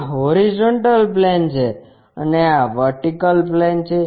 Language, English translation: Gujarati, This is the horizontal plane and this is the vertical plane